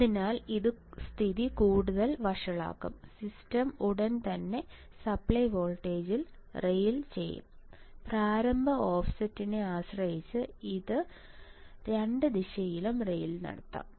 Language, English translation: Malayalam, So, ma this will make the situation worse the system will immediately rail at the supply voltage, it could rail either direction depending on the initial offset, right